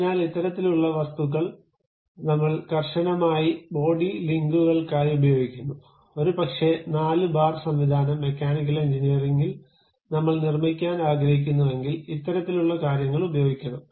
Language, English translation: Malayalam, So, these kind of objects we use it for rigid body links maybe four bar mechanism, this kind of things if I would like to really construct at mechanical engineering